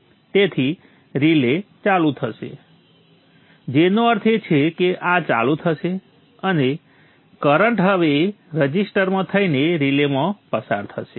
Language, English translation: Gujarati, So the relay will turn on which means this will turn on and the current will now flow through the relay bypassing the resistor